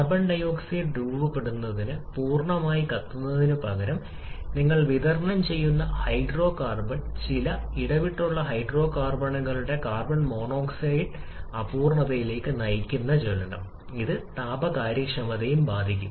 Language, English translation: Malayalam, The hydrocarbon that you are supplying instead of burning complete to form carbon dioxide, that can form carbon monoxide of some intermittent hydrocarbons leading to incomplete combustion and which can affect the thermal efficiency as well